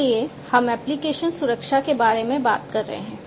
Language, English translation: Hindi, So, we are talking about application security